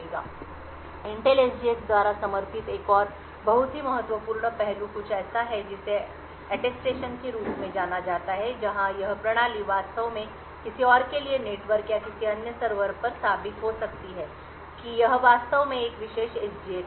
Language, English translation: Hindi, Another very important aspect which is supported by Intel SGX is something known as Attestation where this system can actually prove to somebody else may be over the network or another server that it actually has a particular SGX